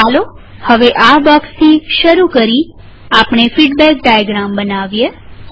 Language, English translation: Gujarati, Let us now create the feedback diagram starting from this block